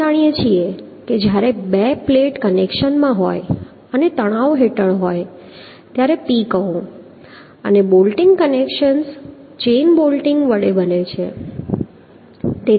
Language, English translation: Gujarati, when two plates are in connections and under tension, say P and say bolting, connections are made with a chain bolting